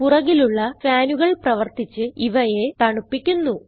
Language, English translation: Malayalam, Fans at the back provide the air flow required to cool the components